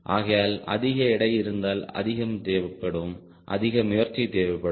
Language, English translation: Tamil, so more weight means more lift, more effort, right